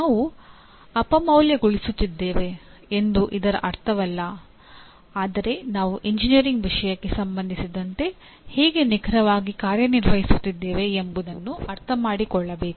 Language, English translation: Kannada, It does not mean that we are devaluing but we should understand with respect to our engineering subject where exactly we are operating